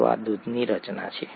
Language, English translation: Gujarati, So this is the composition of milk